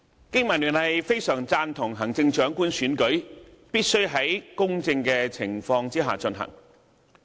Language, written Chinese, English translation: Cantonese, 經民聯非常贊同行政長官選舉必須在公正的情況下進行。, BPA fully supports that the Chief Executive Election must be conducted under fair conditions